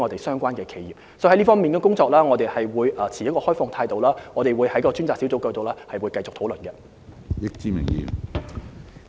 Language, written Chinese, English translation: Cantonese, 所以，在這方面我們會持開放態度，並在上述專責小組平台繼續進行討論。, So in this regard we will keep an open mind and continue the discussion on the aforesaid platform of the Task Group